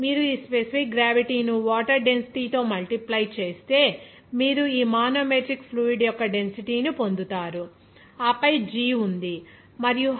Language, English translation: Telugu, 87 if you multiply this specific gravity with the density of water, you will get the density of fluid of this manometric fluid and then g is there and height is given 0